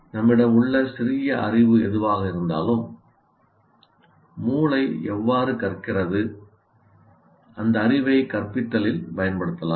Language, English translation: Tamil, So whatever little knowledge that we have, how brains learn, that knowledge can be used in instruction